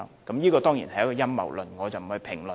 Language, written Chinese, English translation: Cantonese, 這當然是陰謀論，我不作評論。, This is conspiracy theory for sure . I will not comment on this